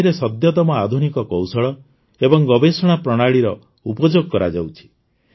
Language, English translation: Odia, Latest Modern Techniques and Research Methods are used in this